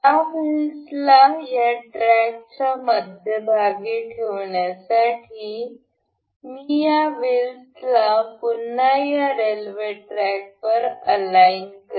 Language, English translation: Marathi, I will align these wheels to this rail track once again to have this wheels in the middle of this track